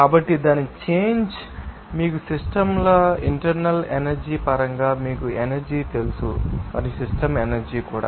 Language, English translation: Telugu, So, that you know change of that, you know systems, you know energy in terms of internal energy and also system energy